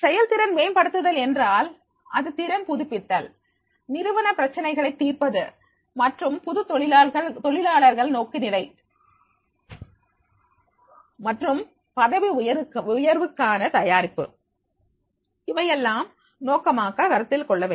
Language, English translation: Tamil, If it is performance improvement, it is skill updating, solving organizational problems and new employee orientations and preparation for promotion, that has to taken into consideration what is the purpose